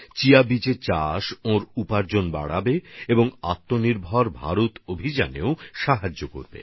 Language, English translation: Bengali, Cultivation of Chia seeds will also increase his income and will help in the selfreliant India campaign too